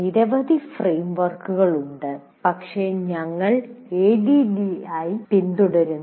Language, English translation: Malayalam, There are several frameworks, but the one we are following is ADDI